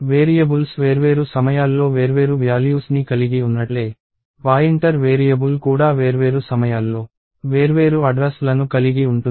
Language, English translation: Telugu, So, just like variables can have different values at different times, a pointer variable can have different addresses at different points of times